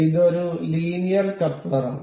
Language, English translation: Malayalam, So, this is linear coupler